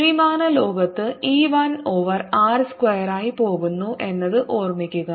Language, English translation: Malayalam, keep in mind that the three dimensional word, e goes one over r square a